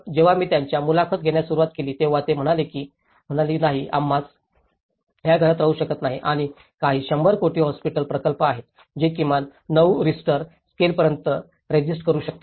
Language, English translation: Marathi, When I started interviewing them, they said no we cannot stay in these houses and some of the, there is a 100 crore hospital projects which can at least resist to 9 Richter scale